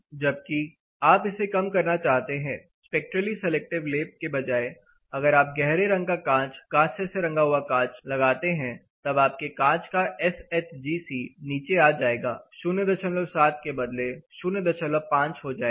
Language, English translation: Hindi, Whereas, when you want to reduce this particular thing instead of going for a spectrally selective coating, if you are going for a tinted glass the dark color tinted glass say bronze colored glass then your SHGC might come down; say instead of 0